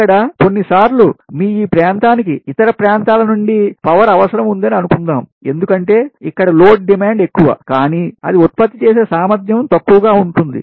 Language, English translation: Telugu, also, suppose sometimes it may happen that your this, this area, it needs power from the other areas, because here load demand is more but its generating capacity is less